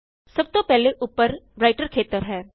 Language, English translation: Punjabi, The first is the Writer area on the top